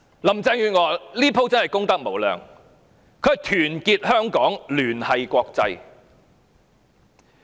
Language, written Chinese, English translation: Cantonese, 林鄭月娥這次真是功德無量，她說要團結香港，聯繫國際。, She said she would unite Hong Kong and connect with the international community